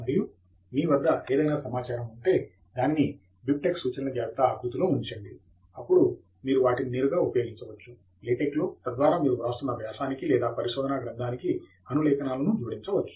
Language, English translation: Telugu, And if you have your data on the list of references in BibTeX format, then you can use them directly in LaTeX, so that you can add citations to the article or the thesis that you are writing